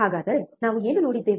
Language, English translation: Kannada, So, what what we have seen